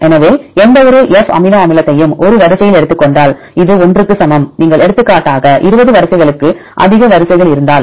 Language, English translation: Tamil, So, for any F take amino acid a in position I in a single sequence this is equal to 1 if you take that then if you have more sequences for example 20 sequences